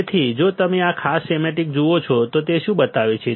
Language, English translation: Gujarati, So, if you see this particular schematic, what does it show